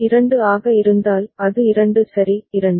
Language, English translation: Tamil, 2, it will be 2 ok, 2